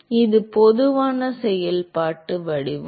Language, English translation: Tamil, So, the functional form